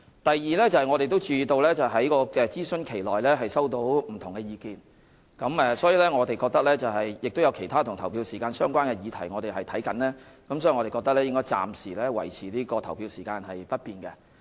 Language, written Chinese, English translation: Cantonese, 第二，我們注意到在諮詢期內收到不同的意見，而我們正檢視其他與投票時間相關的議題，因此我們認為應暫時維持投票時間不變。, Secondly we note that diverse views were received during the consultation period and we are reviewing other issues related to polling hours . We therefore think the polling hours should remain unchanged for the time being